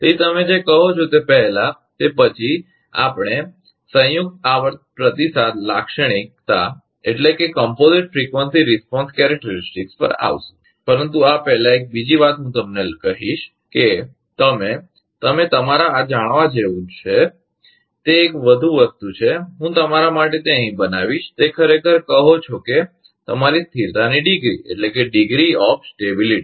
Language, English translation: Gujarati, So, before your what you call after that, we will come composite frequency response characteristic, but before this, one more thing I will tell you that you can, you you should know this, that one more thing that is, I will make it here for you, that is actually call that your degree of stability